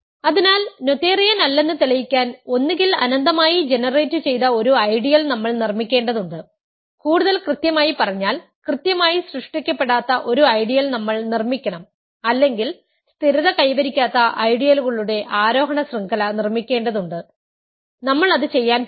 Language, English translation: Malayalam, So, to prove non noetherianess, we either have to produce an infinitely generated ideal, more precisely we have to produce an ideal which is not finitely generated or we have to produce an ascending chain of ideals that does not stabilize so, we are going to do that